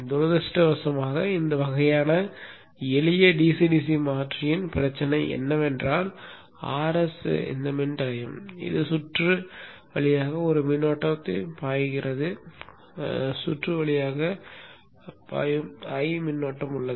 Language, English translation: Tamil, Unfortunately the problem with this type of simple DC DC converter is that RS is resistive, there is a current flowing through this circuit